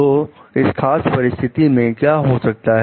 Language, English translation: Hindi, So, what can be done in this particular situation